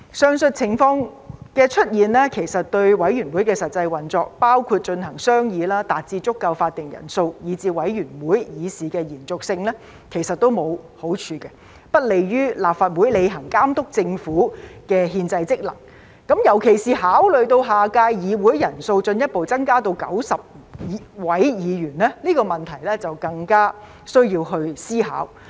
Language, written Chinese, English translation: Cantonese, 上述情況的出現其實對委員會的實際運作，包括進行商議、達致足夠法定人數、以至委員會議事的延續性也沒有好處，不利於立法會履行監督政府的憲制職能，尤其是考慮到下屆議會人數進一步增加至90位議員，這個問題更需要思考。, The aforesaid situation is not desirable for the actual operation of committees including deliberation formation of quorum and continuation of the business of committees which undermines LegCos constitutional function in monitoring the Government . This issue merits further consideration particularly given that the number of Members of the next term of the Legislative Council further increases to 90